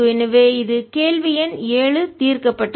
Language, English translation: Tamil, so that's question number seven solved